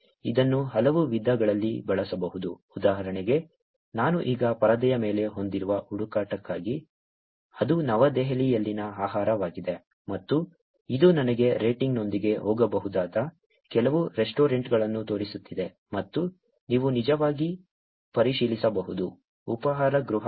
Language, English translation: Kannada, This can be used in multiple ways, for example, for the search that I have now on the screen, which is food in New Delhi and it is showing me some restaurants that I can go to with the rating and you can actually check into the restaurant